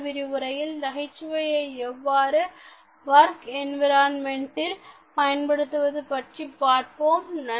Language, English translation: Tamil, In this lesson, let us look at humour in workplace